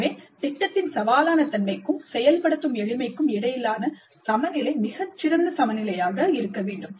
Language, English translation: Tamil, So the balance between the challenging nature of the project and the ease of implementation must be a very fine balance